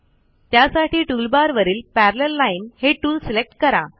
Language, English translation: Marathi, To do this select the Parallel Line tool from the toolbar